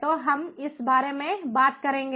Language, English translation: Hindi, so we will talk about that